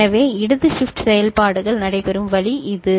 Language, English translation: Tamil, So, this is the way the left shift operations takes place ok